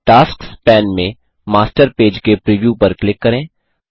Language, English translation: Hindi, In the Tasks pane, click on the preview of the Master Page